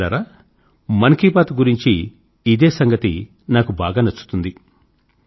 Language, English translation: Telugu, Friends, this is something I really like about the "Man Ki Baat" programme